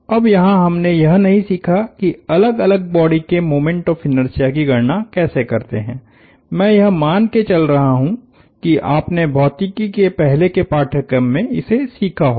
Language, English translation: Hindi, Now, we did not learn how to compute moments of inertia of various bodies, I am assuming, you would have learnt that in an earlier course in Physics